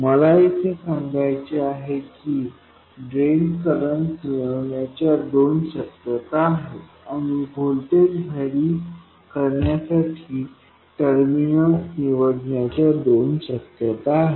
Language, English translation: Marathi, What I want to point out here is that there are two possibilities for accessing the drain current and two possibilities for choosing the terminal at which to vary the voltage so that VGS is varied